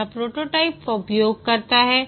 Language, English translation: Hindi, It uses prototyping